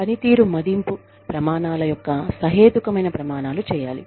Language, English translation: Telugu, Reasonable standards of performance appraisal criteria, should be made